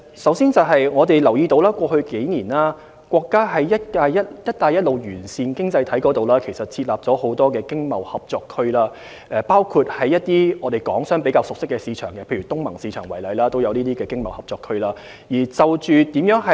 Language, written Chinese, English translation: Cantonese, 首先，我們留意到在過去數年，國家在"一帶一路"沿線經濟體設立了很多經貿合作區，包括在一些港商比較熟識的市場如東盟市場設立的經貿合作區。, First of all we notice that our country has set up a number of ETCZs in the economies along the BR region over the past few years including some set up in markets that are more familiar to Hong Kong businessmen such as those of ASEAN countries